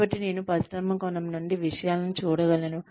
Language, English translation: Telugu, So, I can see things from the perspective of the industry